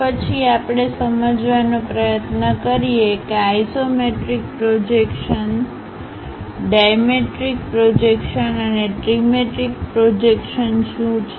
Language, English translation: Gujarati, Then we try to understand what is an isometric projection, a dimetric projection, and trimetric projection in terms of the inclination angles